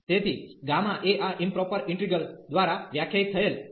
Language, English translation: Gujarati, So, gamma n is defined by this improper integral